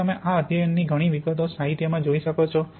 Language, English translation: Gujarati, And you can look in the literature many, many details of these studies